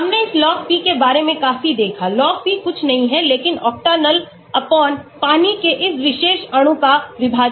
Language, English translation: Hindi, We looked quite a lot about this Log P, Log P is nothing but in octanol/ in water the partition of this particular molecule